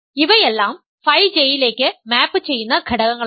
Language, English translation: Malayalam, These are all elements that map to phi J